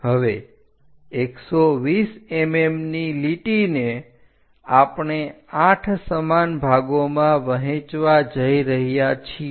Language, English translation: Gujarati, Now, line 120 mm that we are going to divide into 8 equal parts